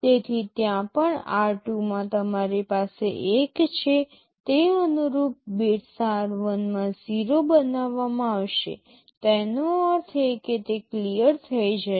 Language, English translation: Gujarati, So, wherever in r2 you have 1 those corresponding bits in r1 will be made 0; that means those will be cleared